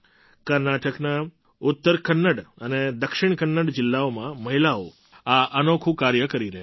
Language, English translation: Gujarati, Women in Uttara Kannada and Dakshina Kannada districts of Karnataka are doing this unique work